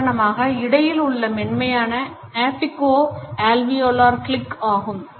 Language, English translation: Tamil, Between, for instance, is soft compassionate apico alveolar click